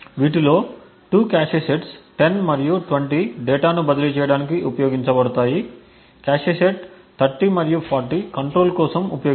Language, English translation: Telugu, 2 of these cache sets 10 and 20 are used for transferring data while the cache set 30 and 40 are used for control